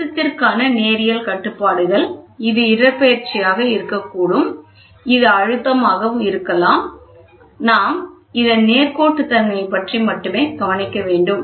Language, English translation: Tamil, Linearity constraints are as the pressure this can be displacement, this can be pressure, ok and we are only worried about the linearity, ok